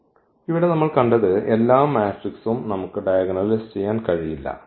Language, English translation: Malayalam, So, what we have seen here that every matrix we cannot diagonalize